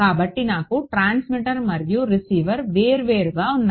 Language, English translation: Telugu, So, I have T x and R x are different